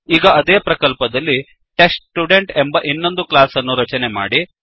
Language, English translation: Kannada, Now, create another class named TestStudent inside the same project